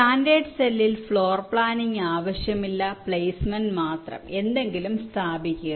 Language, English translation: Malayalam, in standard cell, floor planning is not required, only placement placing something